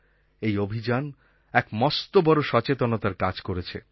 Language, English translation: Bengali, This campaign has worked in a major way to generate awareness